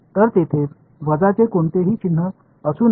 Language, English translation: Marathi, So, there should not be any minus sign